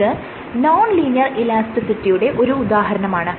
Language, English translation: Malayalam, So, this is an example of non linear elasticity